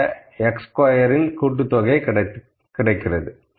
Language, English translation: Tamil, So, I have got this summation of x i squared and this is summation of x i